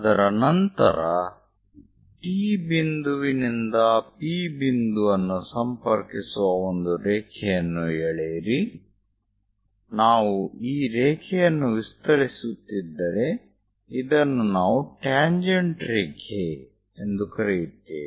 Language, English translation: Kannada, After that draw a line connecting from point T all the way to P; if we are extending this line, this is what we call tangent line